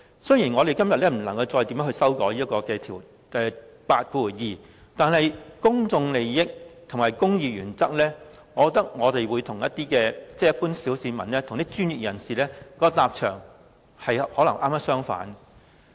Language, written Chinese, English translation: Cantonese, 雖然我們今天不能再修改第82條，但以公眾利益和公義原則來說，我認為一般小市民與專業人士的立場可能剛好相反。, Though we cannot further amend clause 82 today I believe the general public and professionals may have quite the opposite positions with regard to public interest and the principle of justice